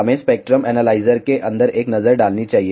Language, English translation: Hindi, Let us have a look inside of the spectrum analyzer